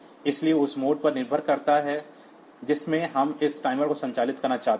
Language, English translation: Hindi, So, depending upon the mode in which we want to operate this timer